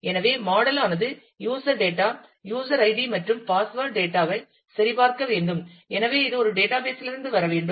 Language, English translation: Tamil, So, the model has to check on the user data, the user id and password data and therefore, it has to come from a database